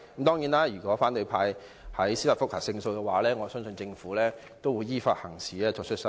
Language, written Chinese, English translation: Cantonese, 當然，如果反對派在司法覆核中勝訴，我相信政府也會依法行事，作出修正。, Certainly if the opposition camp wins the judicial review I believe the Government will act in accordance with the law and make rectifications